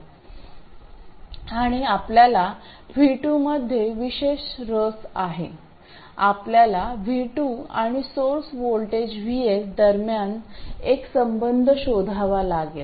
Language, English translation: Marathi, We have to find a relationship between V2 and the source voltage VS